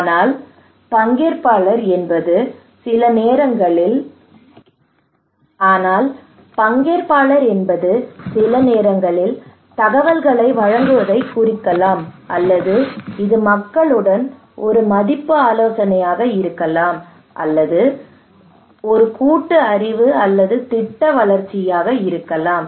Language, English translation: Tamil, But it could be just participatory means providing informations, or it could be just a value consultations with the people, or it could be at the collaborative knowledge or plan development